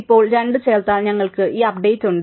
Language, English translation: Malayalam, Now, having added 2, we have this update